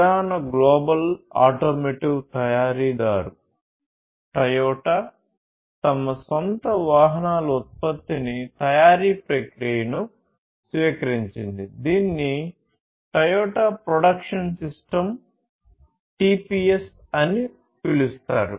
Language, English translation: Telugu, The major global automotive manufacturer, the company Toyota, basically adopted for their own production of their own vehicles, adopted a manufacturing process which was known as the Toyota Production System, TPS